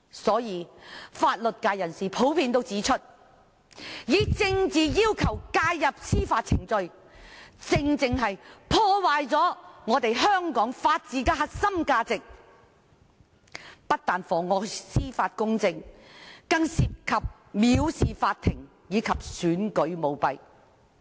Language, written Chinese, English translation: Cantonese, 就此，法律界人士普遍指出，以政治要求介入司法程序，正正破壞了香港法治的核心價值，不但妨礙司法公正，更涉及藐視法庭和選舉舞弊。, With respect to this members of the legal profession have generally pointed out that intervention into the judicial process by political request has genuinely damaged the core values of Hong Kongs rule of law . This has not only perverted the course of justice but has even involved contempt of court and electoral corruption